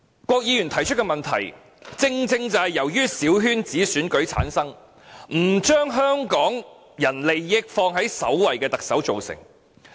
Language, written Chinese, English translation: Cantonese, 郭議員提出的問題，正正是由產生於小圈子選舉，不把香港人利益放在首位的特首造成。, The problems pointed out by Mr KWOK are precisely created by the Chief Executive who is returned by small - circle election and does not accord priority to the interest of Hong Kong people